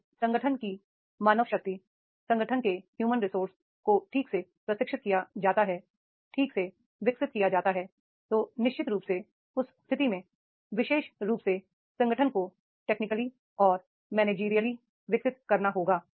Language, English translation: Hindi, If main power of the organization, human resource of the organization that is properly trained, properly developed, so then definitely in that case that particular organization that has to be technically and managerily has to be developed